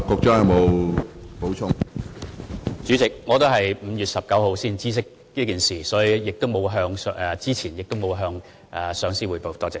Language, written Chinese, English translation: Cantonese, 主席，我也是在5月19日才知悉此事，所以我事前沒有向上司匯報。, President as I was only aware of the matter on 19 May I had not made prior report to my supervisor